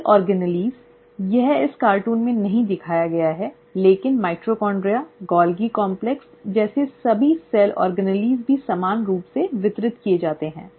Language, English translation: Hindi, The cell organelles, it is not shown in this cartoon, but all the cell organelles like the mitochondria, the Golgi complex also gets equally distributed